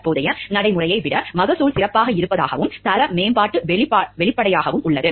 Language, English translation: Tamil, Yields are indicated to be better than current practice and quality improvement is apparent